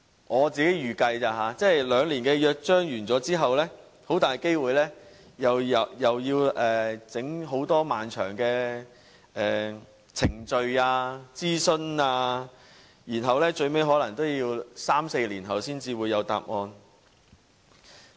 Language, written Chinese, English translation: Cantonese, 我自己預計，兩年約章完結後，很大機會又要進行很多漫長的程序、諮詢，最後可能要三四年後才會有答案。, Lengthy procedure and consultation is expected after the end of the two - year charter so an answer will be available only in three to four years ultimately